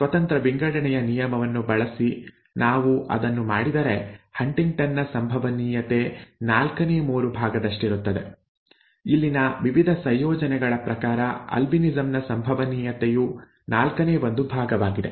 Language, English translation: Kannada, If we do that invoking law of independent assortment, the probability of HuntingtonÕs is three fourth; the probability of albinism is one fourth according to the various combinations here